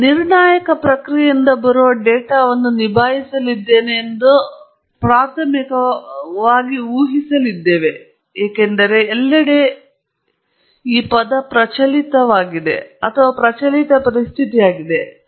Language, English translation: Kannada, And here, we will assume primarily that we are going to deal with data that comes from a non deterministic process, because that’s the prevalent situation everywhere